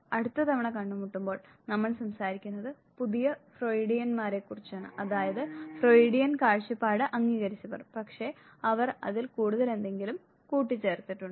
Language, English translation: Malayalam, When we meet next we would be talking about the new Freudians, those who largely accepted the Freudian view point, but then added something more to it